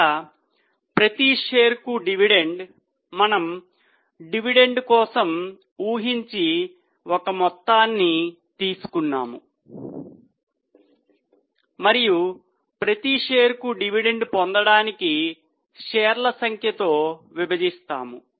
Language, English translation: Telugu, Dividend per share, here we have just taken one hypothetical amount for dividend and we will divide it by number of shares